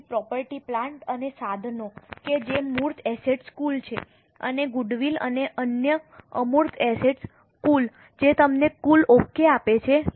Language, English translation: Gujarati, So, property plant and equipment that is the tangible assets total and goodwill and other intangible assets total which gives you the total of total